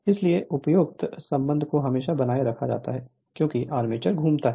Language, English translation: Hindi, So, that above relation is always maintained as the armature rotates